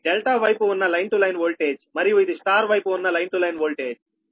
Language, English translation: Telugu, this is delta side line to line voltage and this is star side line to line voltage v a b